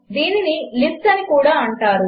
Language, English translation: Telugu, This is also called a List